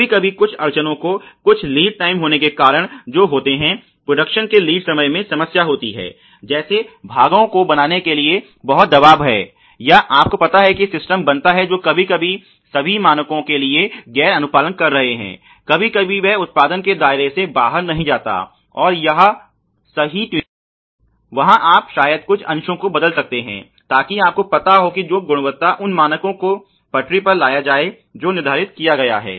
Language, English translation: Hindi, Sometimes which happen because of some constraints and some meeting of the lead time production lead times issues there is lot of pressure to create parts or you know creates systems which are non complying to for all standards sometimes and then later on not leave them out of the purview of the production and when the right tuning is there you can probably replace some of the components there so that you know you may be get them back on track in the quality standard which has been laid down